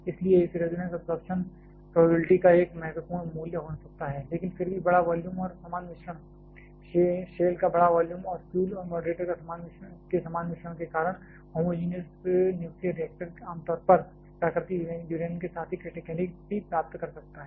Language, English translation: Hindi, Therefore, it a can have a quit significant value of this resonance absorption probability, but still because of the large volume and uniform mix, large volume of the shell and uniform mixing of fuel and moderator the homogenous nuclear reactor; generally, can attain criticality with natural uranium itself